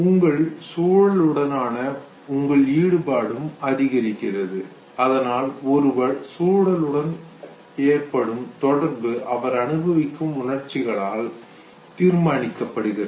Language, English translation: Tamil, Your involvement with your environment increases, therefore the pattern of interaction that one will show to the environment will also be decided by the emotion that one will experience